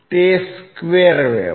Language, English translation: Gujarati, It is a square wave